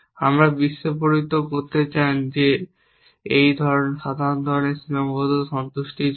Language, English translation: Bengali, We want to explode is that for general kind of constraint satisfaction problems